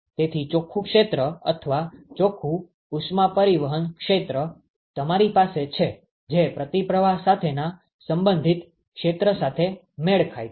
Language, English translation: Gujarati, So, the net area or that net heat transport area that you have is matched with the counter flow the corresponding area